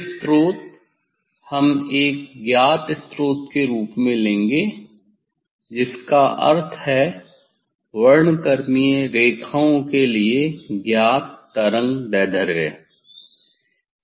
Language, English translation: Hindi, these source, we will take as a known source means known wavelength for the spectral lines